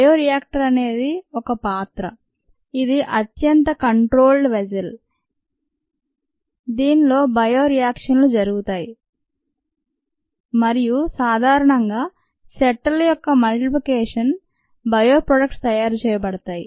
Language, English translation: Telugu, a bioreactor is nothing but a vessel, highly instrumented and controlled vessel, in which bio reactions take place and bio products are made, normally with the multiplication of sets